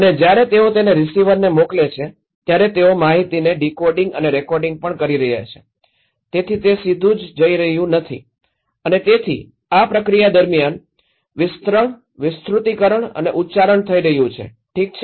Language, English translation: Gujarati, And when they are sending it to the receiver, they are also decoding and recoding the informations, So, it’s not directly going and so during this process, amplifications, magnifications and accentuations are happening, okay